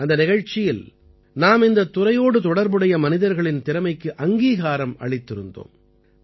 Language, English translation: Tamil, In that program, we had acknowledged the talent of the people associated with this field